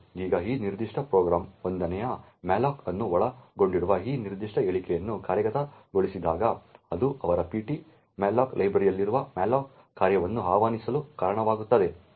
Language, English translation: Kannada, Now when this particular statement comprising of the 1st malloc of this particular program gets executed it results in the malloc function present in their ptmalloc library to be invoked